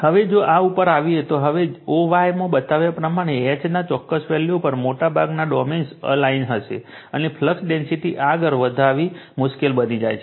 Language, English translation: Gujarati, Now, if you come to this, now at a particular value of H as shown in o y, most of the domains will be you are aligned, and it becomes difficult to increase the flux density any further